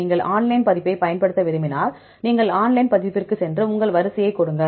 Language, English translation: Tamil, If you like to use the online version just you go to the online version and give your sequence